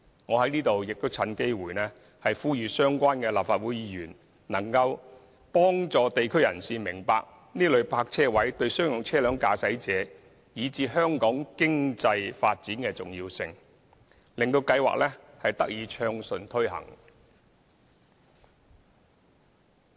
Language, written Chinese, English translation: Cantonese, 我在此亦趁機會呼籲相關的立法會議員，幫助地區人士明白這類泊車位對商用車輛駕駛者，以至香港經濟的重要性，使計劃得以暢順推行。, I would like to take this opportunity to call upon Members of the relevant districts to help people understand the importance of such parking spaces to drivers of commercial vehicles as well as the economy of Hong Kong so that the plan can be implemented smoothly